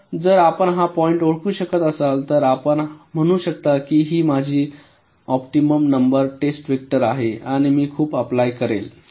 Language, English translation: Marathi, so if you can identify this point, then you can say that well, this is my optimum number of test vectors, i will apply so many